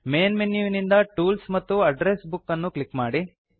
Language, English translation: Kannada, From the Main menu, click on Tools and Address Book